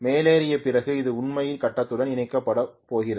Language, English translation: Tamil, After stepping up it is actually connected to the grid